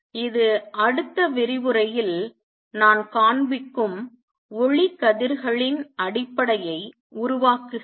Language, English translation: Tamil, This forms the basis of lasers which we will cover in the next lecture